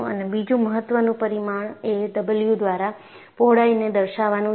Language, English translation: Gujarati, And another important parameter is, you represent the width by the symbol W